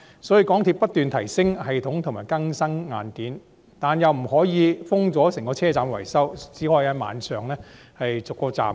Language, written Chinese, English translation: Cantonese, 所以，港鐵公司不斷提升系統和更新硬件，但又不可以圍封整個車站維修，只能在晚上逐一修理。, For this reason MTRCL keeps upgrading the system and renewing the hardware but it cannot enclose the whole stations for maintenance . It can only undertake the repairs one by one at night